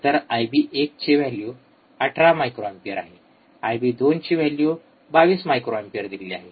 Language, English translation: Marathi, So, given the values of I b 1, which is 18 microampere, I bIb 2 is 22 microampere